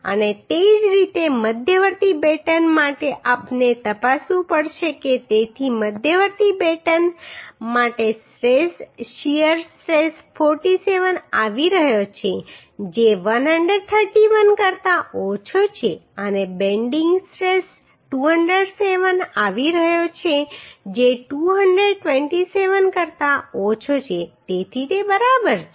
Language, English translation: Gujarati, And similarly for intermediate batten we have to check so for intermediate batten the stress shear stress is coming 47 which is less than 131 and bending stress is coming 207 which is less than 227 so it is ok